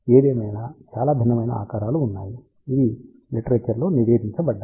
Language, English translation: Telugu, However, there are so, many different shapes, which have been reported in the literature